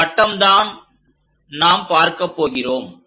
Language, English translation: Tamil, This is the circle what we are going to see